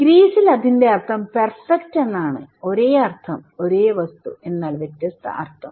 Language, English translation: Malayalam, Or in Greece that is just perfect; that is just perfect, the same meaning, a same object but different meaning